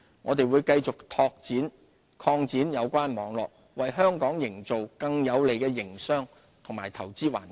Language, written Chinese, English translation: Cantonese, 我們會繼續擴展有關網絡，為香港營造更有利的營商及投資環境。, We will continue our efforts to expand the network so as to foster a more business and investment - friendly environment for Hong Kong